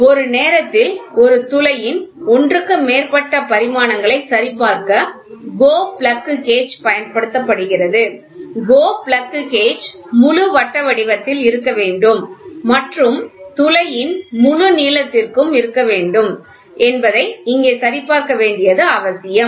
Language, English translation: Tamil, It is pertinent to check here that since the GO plug is used to check more than one dimension of a hole simultaneously, the GO plug gauge must be fully circular cross section and must be for full length of the hole